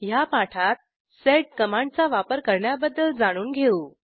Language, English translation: Marathi, In this tutorial we will learn usage of sed command